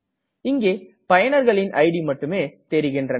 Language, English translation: Tamil, Now we can see only the ids of the users